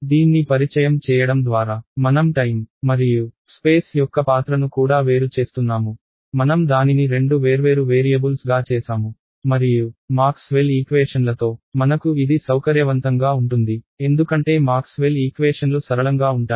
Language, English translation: Telugu, By introducing this I am also separating the role of time and space, I made it into two separate variables and I can that is convenient for me with Maxwell’s equations because Maxwell’s equations are nicely linear right